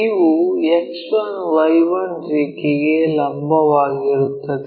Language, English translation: Kannada, These are perpendicular to X 1 Y 1 line